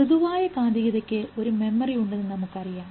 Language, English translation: Malayalam, Soft magnetism we know has a memory